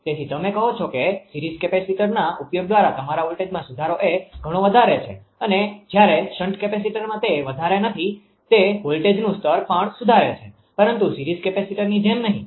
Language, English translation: Gujarati, So, your what you call that your voltage ah improvement using series capacitor is much higher and do not much in the shunt capacitor also improve the voltage level but not like the series capacitor right